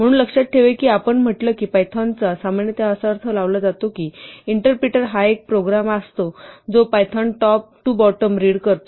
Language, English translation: Marathi, So remember that we said python is typically interpreted, so an interpreter is a program, which will read python code and execute it from top to bottom